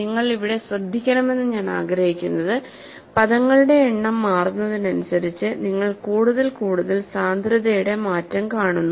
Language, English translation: Malayalam, And what I want you to appreciate here is, as the number of terms changes, you see more and more density change of the fringe